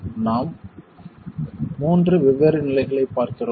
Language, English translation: Tamil, We look at three different stages